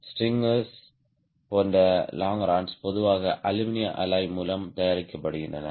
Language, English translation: Tamil, longerons, like strangers, are usually made of aluminum alloy